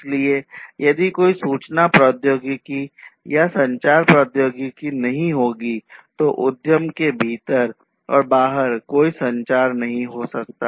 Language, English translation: Hindi, So, if there is no information technology or communication technology there is no communication within the enterprise and across enterprises